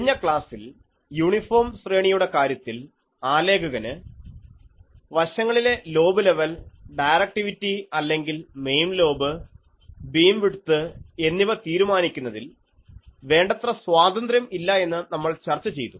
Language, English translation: Malayalam, In the previous lecture, we have discussed that an uniform array a designer does not have sufficient control to specify the side lobe level and the directivity or the main lobe beam width